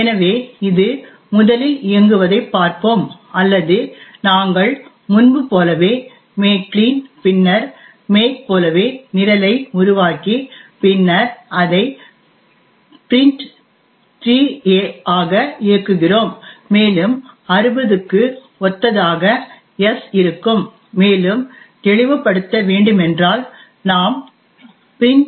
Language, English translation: Tamil, So let us see it running first or we make the program as before make clean and then make and then run it as print3a and note that this 60 corresponds to s to make it more clearer what we can do is print3a